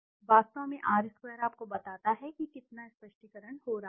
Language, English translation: Hindi, In fact the R square tells you how much of explanation is happening